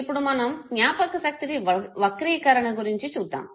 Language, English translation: Telugu, Now we come to what is called as memory distortion